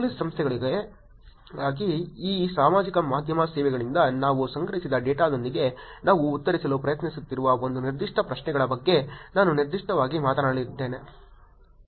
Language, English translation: Kannada, I am going to be also specifically talking about one specific set of questions that we were trying to answer with the data that we collected from this social media services for the Police Organizations